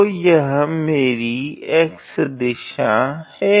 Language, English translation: Hindi, So, this is my x direction